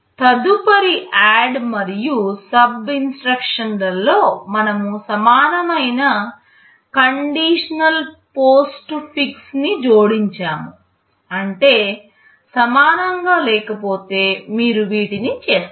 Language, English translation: Telugu, In the next ADD and SUB instructions we have added the conditional postfix not equal to; that means, if not equal to then you do these